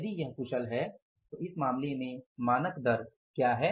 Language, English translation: Hindi, If it is scaled then in this case what is the standard rate